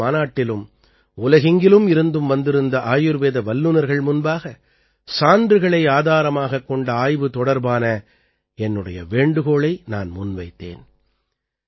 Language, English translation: Tamil, Even in the Ayurveda Congress, I reiterated the point for evidence based research to the Ayurveda experts gathered from all over the world